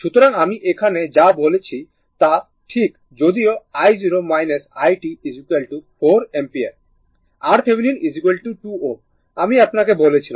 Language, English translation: Bengali, So, everything I said here right though i 0 minus it is 4 ampere, R thevenin is equal to 2 ohm I told you